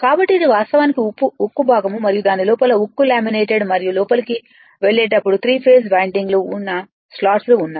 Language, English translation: Telugu, So, this is actually your steel part and inside that will be steel laminated right and when you will go inside these are the slots where 3 phase windings are there